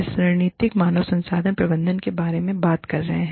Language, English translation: Hindi, We have been talking about, strategic human resource management